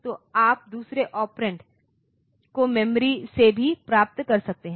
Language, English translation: Hindi, So, you can get the second operand from the memory as well